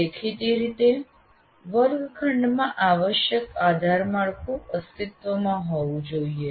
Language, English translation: Gujarati, And obviously the necessary infrastructure should exist in the classroom